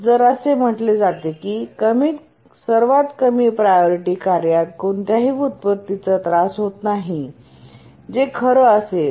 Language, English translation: Marathi, If we said the lowest priority task does not suffer any inversions, that would be true